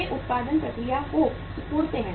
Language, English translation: Hindi, They they shrink the production process